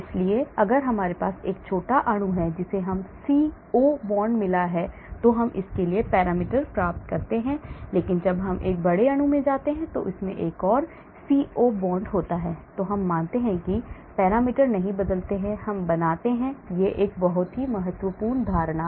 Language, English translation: Hindi, so if I have a small molecule which has got a CO bond, I get the parameters for that, but when I go to a large molecule and it has a CO bond, I assume that parameters do not change, that is a very important assumption I make,